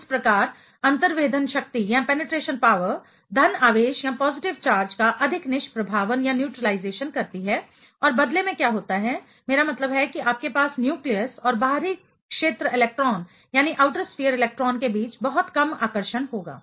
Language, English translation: Hindi, And thereby, the penetration power gives more neutralization of the positive charge and in turn what happens I mean you will have very little attraction between the nucleus and the and the outer sphere electron